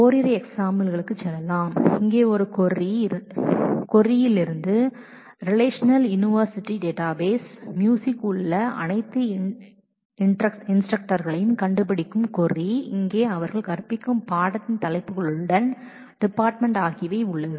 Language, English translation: Tamil, Let us move on to a couple of examples so, here is a query here the relations from the university database, here is a query find the names of all instructors in the music department along with the titles of the course they teach